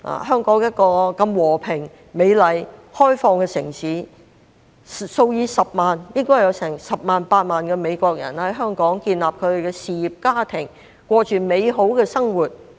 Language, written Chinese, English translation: Cantonese, 香港是一個如此和平、美麗、開放的城市，應該有10萬、8萬美國人在香港建立事業、家庭，過着美好的生活。, This is simply preposterous . Being such a peaceful beautiful and open city Hong Kong is also home to tens of thousands of Americans who have developed their careers set up families and been living a good life